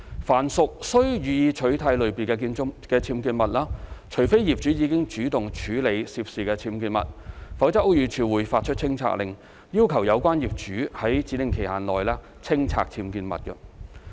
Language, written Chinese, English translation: Cantonese, 凡屬"須予以取締"類別的僭建物，除非業主已主動處理涉事僭建物，否則屋宇署會發出清拆令，要求有關業主在指定期限內清拆僭建物。, For actionable UBWs unless the owners have proactively handled the relevant UBWs BD will issue a removal order requiring the owners concerned to remove the UBWs within a specified period of time